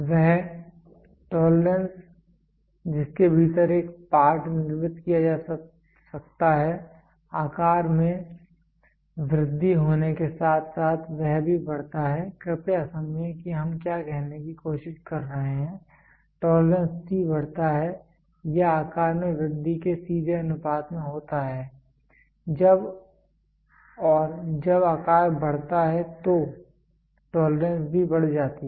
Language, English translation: Hindi, The tolerance within which the tolerance within which a part can be manufactured also increases as the size increases please understand that, what are we trying to say tolerance T increases or is directly proportion to size increase as and when the size increases the tolerance also increases